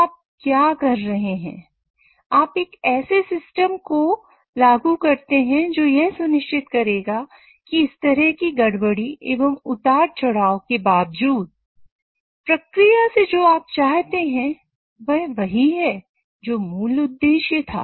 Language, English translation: Hindi, So what you end up doing is you implement a system which will ensure that it respective of such disturbances as well as fluctuations what you get out of the process is same as what was the original objective